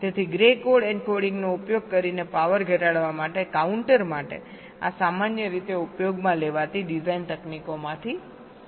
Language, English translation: Gujarati, so this is one of the very commonly used designed technique for a counter to reduce power by using grey code encoding